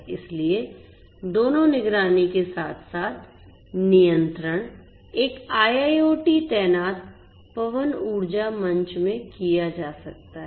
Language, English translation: Hindi, So, both monitoring as well as control could be done in an IIoT deployed wind energy platform